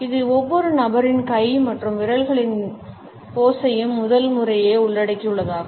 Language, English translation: Tamil, Including for the first time the pose of each individuals hands and fingers also